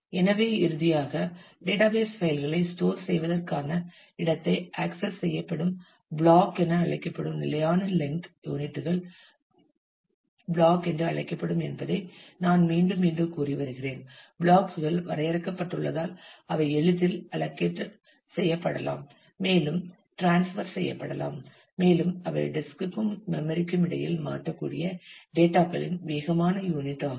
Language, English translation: Tamil, So, finally, the access to the storage the database file as I have been repeatedly saying is partition into fix length units called blocks, because blocks are defined; so that they can be easily allocated and transfer and they are the fastest unit of data that can be transferred between the disk and the memory